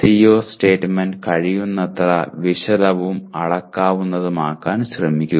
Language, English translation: Malayalam, Put in effort to make the CO statement as detailed as possible and measurable